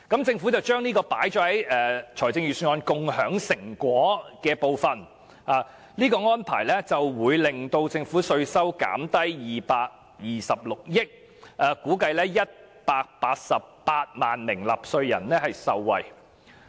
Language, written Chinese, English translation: Cantonese, 政府把這項措施納入財政預算案中"共享成果"的部分，指有關扣減會令政府稅收減少226億元，並估計會有188萬名納稅人受惠。, The Government has included this measure under the part of Sharing Fruits of Success of the Budget highlighting that while the measure will reduce tax revenue by 22.6 billion it is estimated that 1.88 million taxpayers will benefit